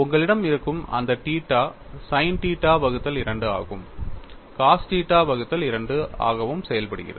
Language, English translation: Tamil, And you have that theta function as sin theta by 2 and cos theta by 2